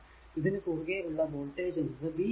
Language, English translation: Malayalam, So, voltage across one and 2 is v actually